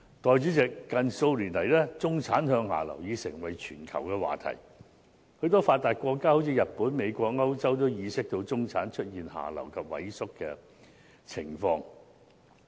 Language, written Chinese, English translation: Cantonese, 代理主席，近數年來，中產向下流已成為全球的話題，許多發達國家，例如日本、美國和歐洲都已意識到中產出現下流及萎縮的情況。, What a coincidence indeed . Deputy President the downward mobility of the middle class has become a global discussion subject in the past few years . Many developed countries such as Japan the United States and Europe have come to the knowledge that their middle - class population is moving down the social ladder and shrinking in size